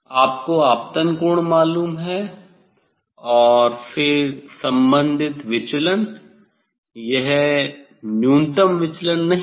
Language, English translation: Hindi, you have you know the incident angle and then the corresponding deviation it is not minimum deviation